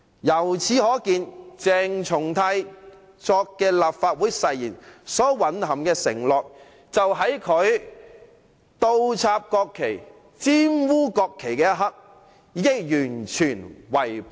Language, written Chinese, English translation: Cantonese, 由此可見，鄭松泰所作的立法會誓言所蘊含的承諾，就在他倒插和玷污國旗的一刻，被他完全違背了。, It is clear that the moment CHENG Chung - tai inverted and desecrated the national flag he had completely breached the pledge made by him in the Legislative Council Oath